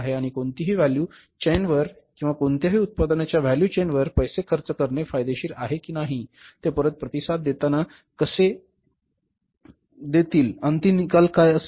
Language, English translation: Marathi, Everywhere you need the funds and whether it is worthwhile to spend the funds on any value chain or any products value chain or not, how it will be say responding back, what will be the end result